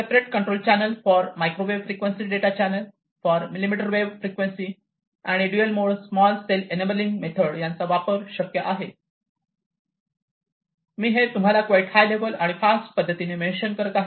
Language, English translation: Marathi, So, separate control channel control channel, for microwave frequency data channel, for the millimetre wave frequency, and dual mode small cell via some of these different enabling methods that could be used